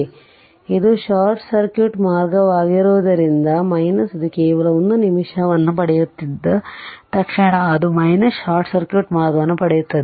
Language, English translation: Kannada, So, question is that as soon as this this your as soon as it is getting a just 1 minute as soon as it is getting a your short circuit path this is short circuit path